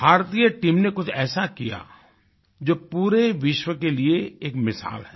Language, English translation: Hindi, The Indian team did something that is exemplary to the whole world